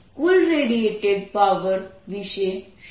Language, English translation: Gujarati, how about the total power radiated